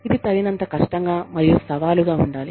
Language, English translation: Telugu, It has to be sufficiently, difficult and challenging